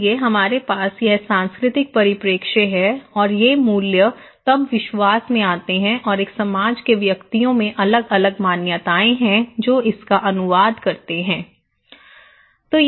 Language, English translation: Hindi, So, we have this cultural perspective and these values then come into beliefs, okay and individuals in a society have different beliefs that translate this one